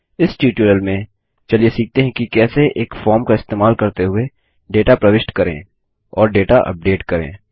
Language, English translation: Hindi, In this tutorial, let us learn how to enter data and update data using a form